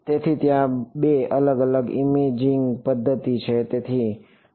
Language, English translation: Gujarati, So, there are two different imaging modalities right